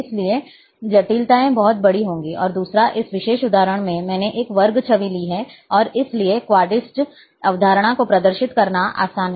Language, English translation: Hindi, So, the complications will be much larger one, and second, in this particular example, I have taken a squared image, and therefore, to demonstrate the quadrics concept, it is easier